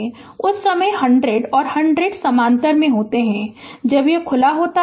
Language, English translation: Hindi, So, at that time 100 and 100 ohm are in parallel right, when it is open